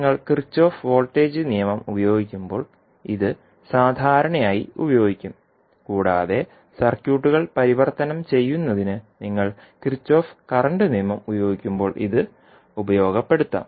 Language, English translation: Malayalam, This would be usually utilized when you are using the Kirchhoff voltage law and this can be utilized when you are utilizing Kirchhoff current law for converting the circuits